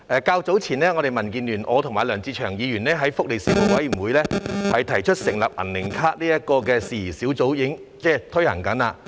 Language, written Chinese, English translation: Cantonese, 較早時候，我和民建聯黨友梁志祥議員建議，在福利事務委員會轄下成立"銀齡卡"相關事宜小組委員會。, Mr LEUNG Che - cheung and I from DAB have suggested earlier that a subcommittee be set up under the Panel on Welfare Services to study issues relating to the silver age card